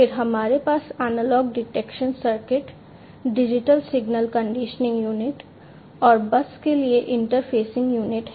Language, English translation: Hindi, Then we have the analog detection circuit, digital signal conditioning unit, and interfacing unit to the bus